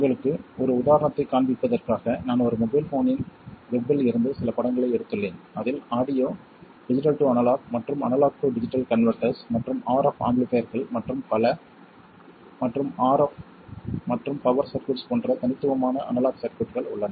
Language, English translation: Tamil, So, just to show you an example, I have taken some picture from the web of a mobile phone and it has what are distinctly analog circuits such as audio digital to analog and analog to digital converters and RF amplifiers and so on and RF and power circuits